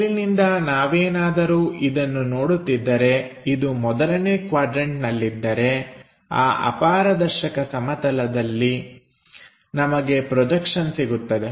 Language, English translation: Kannada, From top if we are looking at it in the first quadrant on the opaque plane we will have projection